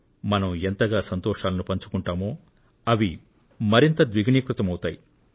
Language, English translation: Telugu, The more you share joy, the more it multiplies